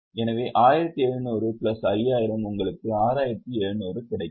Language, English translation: Tamil, So, 1,700 plus 5,000, you get 6,700